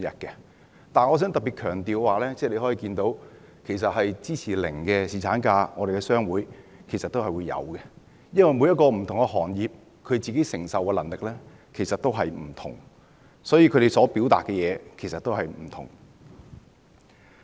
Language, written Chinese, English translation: Cantonese, 可是，我想特別強調的是，從問卷結果可見，在商會中有人會支持沒有侍產假，因為不同行業承受的能力各有不同，所以，他們所表達的意見亦不相同。, But there is something I wish to highlight in particular . As seen from the survey result there are supporters of zero paternity leave among members of various chambers of commerce . The capacity of different industries varies hence their diverse views